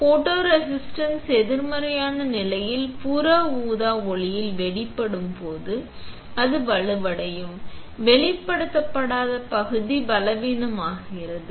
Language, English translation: Tamil, When the photoresist is exposed to UV light in case of negative, it will become stronger; the unexposed region become weaker